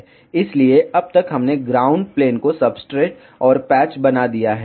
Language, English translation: Hindi, So, so far we have made the ground plane substrate and the patch